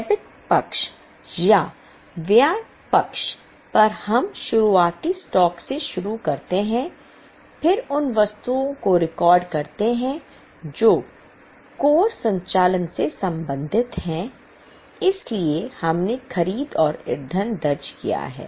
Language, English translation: Hindi, On debit side or on expense side we start opening stock, then record the items which are related to the core operations